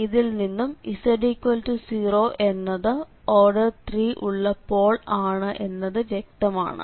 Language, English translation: Malayalam, So, it is clearly then the z is equal to 1 is a simple pole